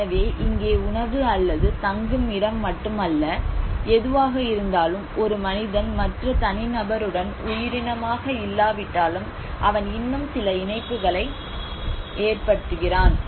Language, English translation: Tamil, So here whatever it is not just only for the food or the shelter it is how a man makes a sense of belonging with other individual though it is not a living being but he still makes some attachment